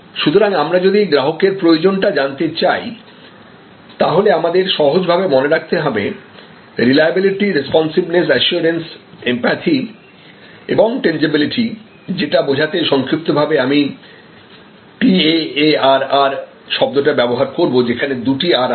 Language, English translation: Bengali, So, if we want know that these are the customers requirement that reliability, responsiveness, assurance, empathy and tangibles to remember it easily, I use this acronym TEARR with double R